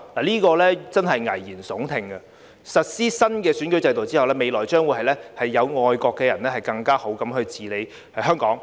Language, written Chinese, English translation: Cantonese, 這真的是危言聳聽，實施新選舉制度後，未來將會由愛國的人更好地治理香港。, This is really scaremongering . After the implementation of the new electoral system Hong Kong will be better governed by patriots in the future